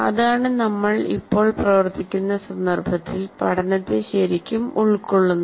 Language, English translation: Malayalam, That's what really constitutes learning in the context where we are right now operating